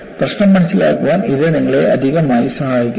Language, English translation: Malayalam, It gives you additional help in understanding the problem